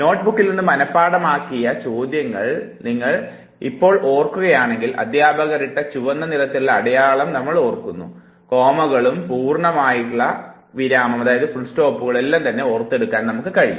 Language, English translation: Malayalam, If you recollect now when you memorize questions from your notebook, you even remember where the teacher had put a red mark, where did you turn the page, the commas, the full stop, most of these feature you remember